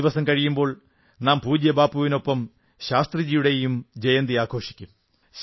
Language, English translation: Malayalam, Two days later, we shall celebrate the birth anniversary of Shastriji along with respected Bapu's birth anniversary